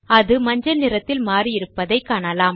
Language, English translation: Tamil, You see that the star turns yellow